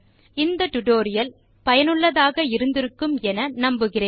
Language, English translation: Tamil, So we hope you have enjoyed this tutorial and found it useful